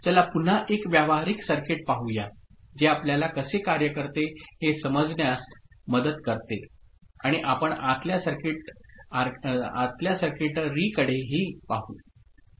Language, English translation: Marathi, So, let us look at again a practical circuit which will help us in understanding how it works and we shall look at inside circuitry as well